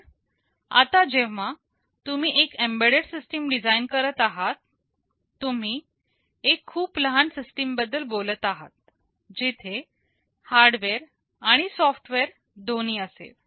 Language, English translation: Marathi, But now when you are designing an embedded system, you are talking about a very small system where both hardware and software will be there